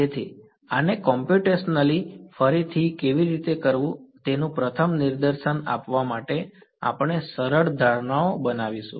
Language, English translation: Gujarati, So, in order to give you a first demonstration of how to do this computationally again we will make simplifying assumptions